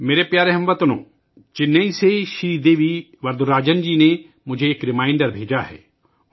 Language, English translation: Urdu, My dear countrymen, Sridevi Varadarajan ji from Chennai has sent me a reminder